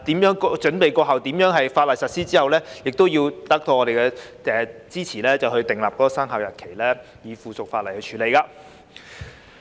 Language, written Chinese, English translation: Cantonese, 在準備期過後，亦要得到我們的支持後才訂立法例的生效日期，並以附屬法例處理。, After the preparatory period the Government should have our support before setting the commencement date of the legislation by way of subsidiary legislation